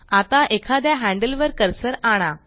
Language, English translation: Marathi, Now move the cursor over one of the handles